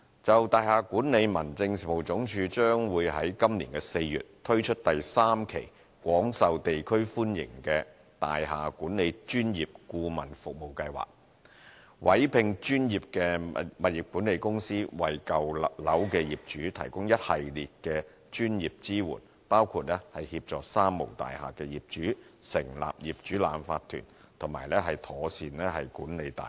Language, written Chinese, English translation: Cantonese, 就大廈管理而言，民政事務總署將在今年4月推出廣受地區歡迎的大廈管理專業顧問服務計劃的第三期，委聘專業物業管理公司，為舊樓的業主提供一系列專業支援，包括協助"三無大廈"業主成立業主立案法團及妥善管理大廈。, In respect of building management the Home Affairs Department will launch phase three of the Building Management Professional Advisory Service Scheme which is well received by local districts in April this year to commission professional property management companies to provide owners of old buildings with a range of professional support including assisting owners of three nil buildings in forming owners corporations and managing buildings properly